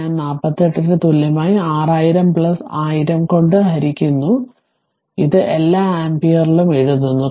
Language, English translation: Malayalam, And i equal to your 48 right divided by 6000 plus your 10000 ah 10000 this is this is your writing on it all ampere right